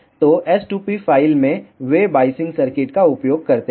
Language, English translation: Hindi, So, in s2p file they use the biasing circuits